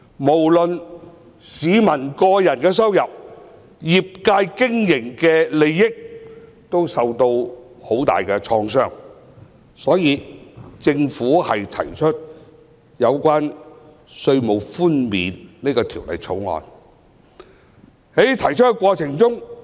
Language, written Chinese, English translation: Cantonese, 無論是市民的個人收入，以至業界的經營利益，均受到很大的創傷，政府因而提出這項關於稅務寬免的《條例草案》。, Both the personal incomes of members of the public and the business profits of the trade have been hugely affected . The Government thus proposed the Bill to offer tax concession